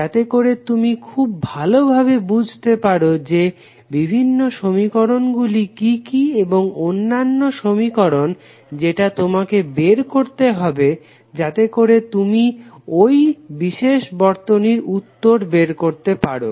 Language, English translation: Bengali, So that you can precisely identify what are the various equations or unique equation you have to find out so that you can find out you can get the answer of that particular circuit